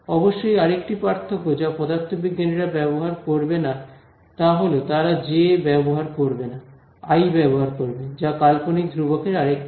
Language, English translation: Bengali, Of course, another differences that are physicists will not use a j they will use i, that is another thing for the imaginary constant ah